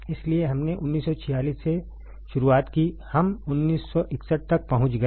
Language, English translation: Hindi, So, we started from 1946, we reached to 1961